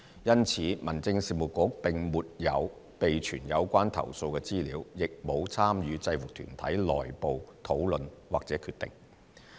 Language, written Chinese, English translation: Cantonese, 因此，民政事務局並沒有備存有關投訴的資料，亦沒有參與制服團體內部討論或決定。, Therefore the Home Affairs Bureau has neither maintained information about complaints nor participated in their internal discussions or decisions